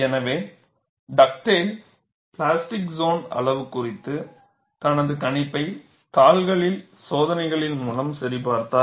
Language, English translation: Tamil, So, Dugdale verified his prediction of the plastic zone size with experiments on sheets